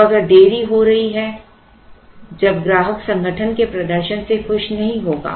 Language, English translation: Hindi, Now, if there is a delay when the customer is not going to be happy with the performance of the manufacturing organization